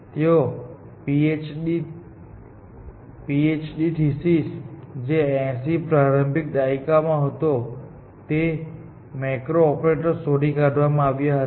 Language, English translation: Gujarati, His PHD thesis, which was in the earlier 80s, was finding macros, operators